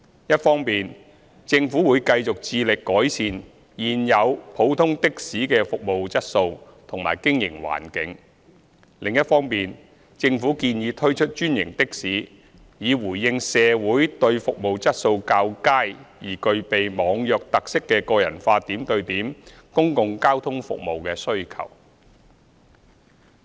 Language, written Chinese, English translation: Cantonese, 一方面，政府會繼續致力改善現有普通的士的服務質素及經營環境；另一方面，政府建議推出專營的士以回應社會上對服務質素較佳而具備"網約"特色的個人化點對點公共交通服務的需求。, On the one hand the Government would continue its efforts to improve the service quality of existing ordinary taxis and their operating environment . On the other the Government proposes the introduction of franchised taxis to address the demand in society for personalized and point - to - point public transport services of higher quality with online hailing features